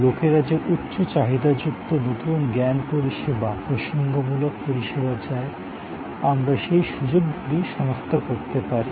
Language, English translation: Bengali, We could identify the opportunities of creating the highly demanded new knowledge service, referential service that people wanted